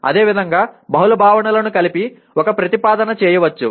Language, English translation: Telugu, Similarly, a proposition can be made with multiple concepts put together